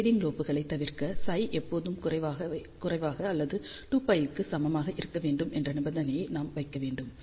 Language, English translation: Tamil, So, to avoid grating lobes, we have to put the condition that psi should be always less than or equal to 2 pi